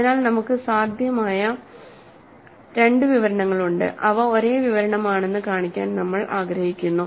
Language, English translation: Malayalam, So, we have two possible descriptions, we would like to show that they are exactly the same description